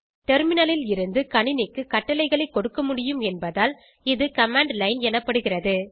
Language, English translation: Tamil, Terminal is called command line because you can command the computer from here